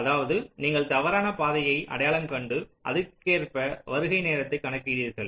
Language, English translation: Tamil, that means you identify the false path and accordingly you compute the arrival time so that you get a good estimate